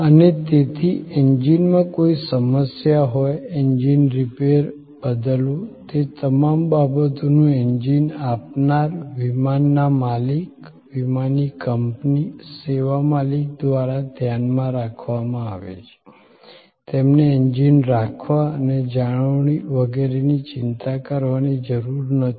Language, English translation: Gujarati, And therefore, there is any problem with the engine, the engine repair, replacement, all those things are taken care of by the engine supplier, the flight owner, the airline service owner, they do not have to bother about owning the engines and maintaining the engines and so on